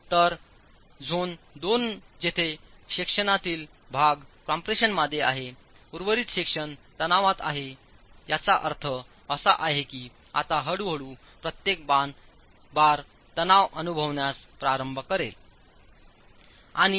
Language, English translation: Marathi, So zone two is where part of the section is in compression, the rest of the section is in tension which means now slowly each bar will start coming into tension